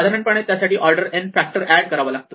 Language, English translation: Marathi, In general, that will add an order n factor